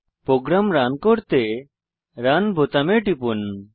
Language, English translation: Bengali, Let me click on the Run button to run the program